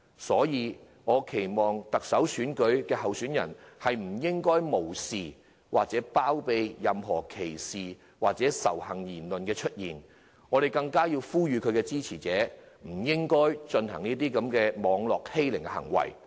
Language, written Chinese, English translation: Cantonese, 所以，我期望特首候選人不會無視或包庇任何人發出歧視或仇恨的言論，我們更要呼籲其支持者不要作出網絡欺凌的行為。, Hence I expect that the Chief Executive candidates will not turn a blind eye to such discriminatory or hostile remarks and condone anyone making such remarks . We should also urge their supporters not to engage in cyber - bullying activities